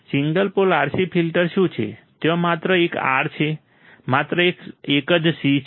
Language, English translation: Gujarati, What is single pole RC filter, there is only one R, there is only one C